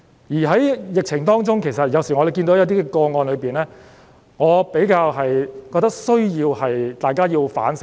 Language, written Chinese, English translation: Cantonese, 在疫情當中，其實有時看到一些個案，我覺得大家需要反省。, During the pandemic I have sometimes seen some cases which call for reflection